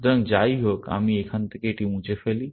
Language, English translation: Bengali, So, anyway, let me rub it off from here